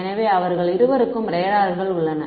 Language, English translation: Tamil, So, both of them have radars